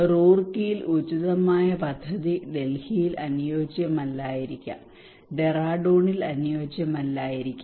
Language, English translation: Malayalam, The project that is appropriate in Roorkee may not be appropriate in Delhi, may not be appropriate in Dehradun